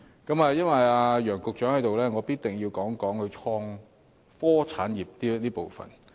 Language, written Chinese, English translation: Cantonese, 既然楊局長在席，我一定要談談創科產業這個部分。, Since Secretary Nicholas YANG is present I must talk about issues of innovation and technology industries